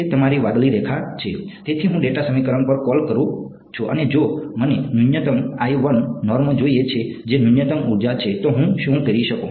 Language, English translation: Gujarati, That is your blue line; so, I am calling at the data equation ok and if I want minimum l 2 norm that is minimum energy then what I can do